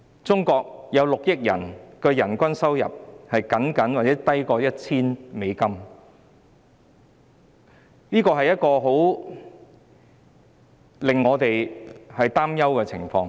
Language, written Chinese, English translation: Cantonese, 中國有6億人的人均月收入僅約 1,000 元，這是一種令我們擔憂的情況。, In China there are 600 million people with a per capita monthly income of only about RMB1,000 which is a situation that worries us